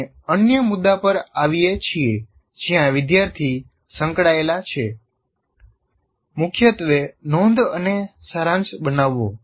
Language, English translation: Gujarati, Next we come to another issue where the student is involved, mainly note making and summarization